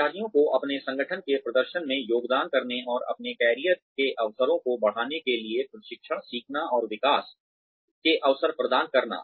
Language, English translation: Hindi, To provide training, learning, and development opportunities, to enable employees to contribute to the performance of their organization and to enhance their career opportunities